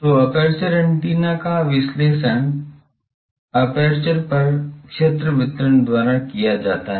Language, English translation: Hindi, So, aperture antennas are analyzed by the field distribution on the aperture